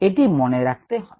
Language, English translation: Bengali, you need to keep this in mind